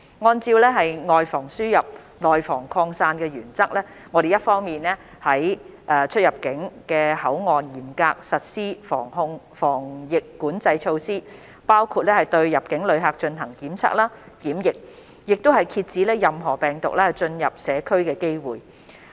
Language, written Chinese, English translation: Cantonese, 按照"外防輸入，內防擴散"的原則，我們一方面於各出入境口岸嚴格實施防疫管制措施，包括對入境旅客進行檢測、檢疫，遏止任何病毒進入社區的機會。, Adhering to the principle of preventing the importation of cases and the spreading of the virus in the community on one hand we have strictly implemented epidemic control measures at various boundary control points including testing and quarantine for inbound travellers to suppress any chance that the virus might enter the community